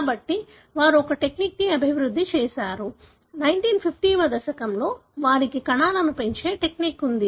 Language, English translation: Telugu, So, they have developed a technique; in 1950Õs they have a technique to grow cells